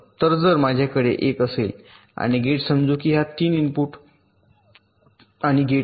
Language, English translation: Marathi, so if i have an and gate, let say its a three input and gate